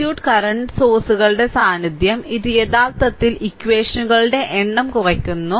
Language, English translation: Malayalam, So, presence of current sources in the circuit, it reduces actually the number of equations